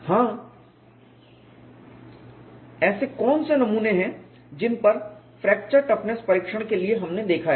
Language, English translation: Hindi, Yeah What are the specimens that we have looked at for fracture toughness testing